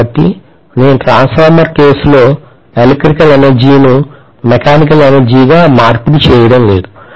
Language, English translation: Telugu, So I am not doing electrical to mechanical energy conversion in the transformer case